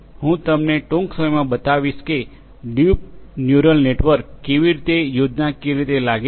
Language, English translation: Gujarati, I will show you how a deep neural network looks like schematically, shortly